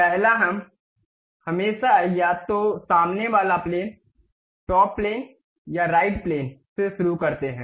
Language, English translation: Hindi, The first one is we always begin either with front plane, top plane or right plane